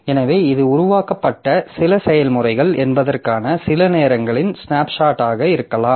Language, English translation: Tamil, So, this may be a snapshot of some point of time that these are some of the processes that are created